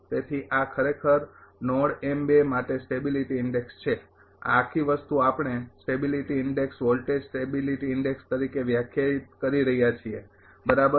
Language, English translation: Gujarati, So, this is actually stability index for node m 2 this whole thing we are defining as a stability index voltage stability index right